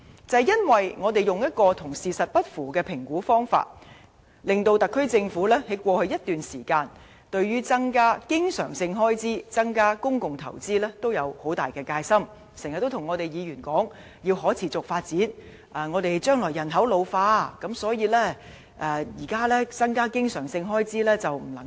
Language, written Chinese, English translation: Cantonese, 由於政府採用未能反映實際情況的評估方法，它在過去一段時間，對於增加經常性開支，增加公共投資均有很大戒心，經常告訴議員說："香港要可持續發展，而香港將來人口老化，所以現在不能大幅增加經常性開支。, As the Governments projections cannot reflect the actual situation it has been wary about increasing recurrent expenditure and public investment over the past always illustrating to Members that it cannot substantially increase recurrent expenditure as Hong Kong has to take the path of sustainable development in the face of an ageing population in the future